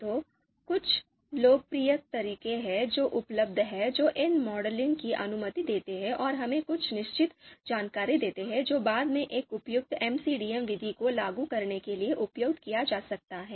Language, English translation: Hindi, So there are certain popular methods which are available which allow this modeling and gives us certain information which can be later on used to you know apply an appropriate MCDM method